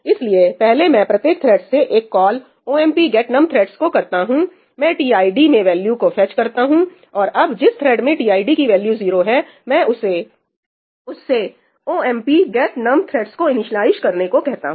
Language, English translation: Hindi, So, first I make a call to ëomp get thread numí from each thread, I fetch the value into tid and now the thread which has tid equal to 0, I ask it to initialize ëomp get num threadsí